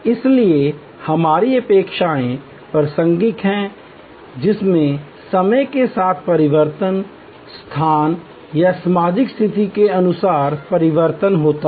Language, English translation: Hindi, So, our expectations are contextual, the change over time, the change according to location or social situation